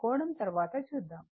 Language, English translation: Telugu, Angle we will see later